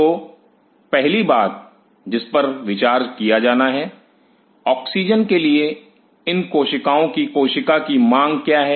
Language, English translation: Hindi, So, first thing which has to be considered; what is the demand of the cell of these cells for oxygen